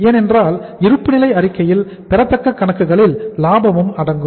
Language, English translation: Tamil, Because in the balance sheet accounts receivables include the profit also